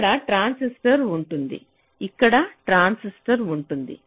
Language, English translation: Telugu, there will be a transistor here